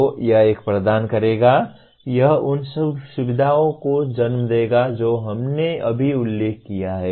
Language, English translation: Hindi, So it will provide a, it will lead to the features that we just mentioned